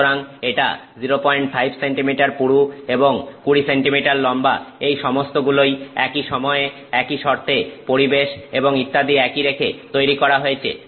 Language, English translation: Bengali, So, that is 5 millimeter thick and 20 centimeters long, all of which have been prepared at the same time under the same conditions with the same atmosphere and so on